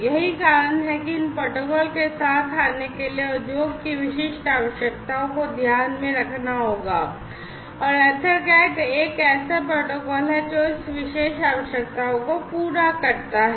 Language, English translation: Hindi, So, that is the reason as you can see, industry specific requirements will have to be taken into account in order to come up with these protocols and EtherCAT is one such protocol, which cater to this particular need